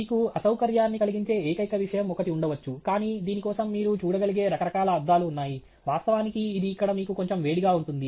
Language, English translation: Telugu, May be the only thing that may cause discomfort to you, but for which there are a lot of variety of glasses that you can look at is the fact that it actually may make it little hot for you inside here